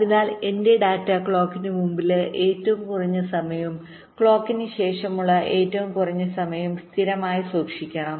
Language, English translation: Malayalam, so my data must be kept stable a minimum time before the clock and also minimum time after the clock